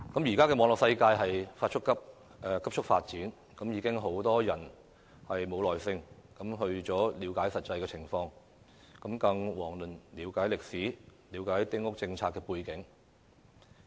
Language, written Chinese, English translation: Cantonese, 現時網絡世界急速發展，很多人已經沒有耐性了解實際的情況，更遑論要了解歷史和丁屋政策的背景。, With the rapid development of the Internet many people no longer have the patience to understand the actual situation let alone the history and background of the Small House Policy